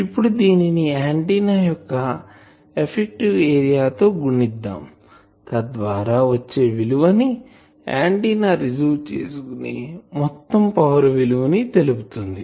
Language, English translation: Telugu, Now, that multiplied by effective area of the antenna that should give me the total power received by the antenna, received or extracted by the antenna